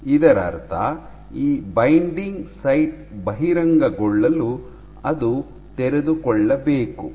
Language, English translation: Kannada, Which means that for this binding site to be exposed it must unfold